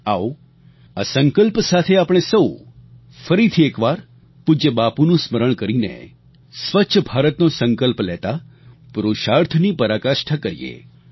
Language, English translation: Gujarati, Let us all, once again remembering revered Bapu and taking a resolve to build a Clean India, put in our best endeavours